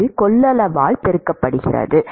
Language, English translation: Tamil, We need to multiply this by